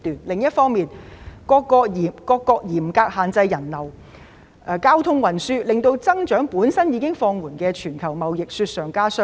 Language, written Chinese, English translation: Cantonese, 另一方面，各國嚴格限制人流和交通運輸，令增長已經放緩的全球貿易雪上加霜。, On the other hand as many countries have strictly restricted the flow of people and transportation the declining global trade has been hit even harder